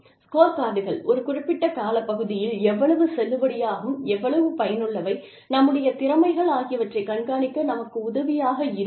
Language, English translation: Tamil, The scorecards, help us keep track of, how valid, how useful, our skills are, over a period of time